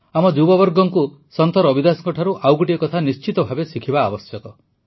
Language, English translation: Odia, Our youth must learn one more thing from Sant Ravidas ji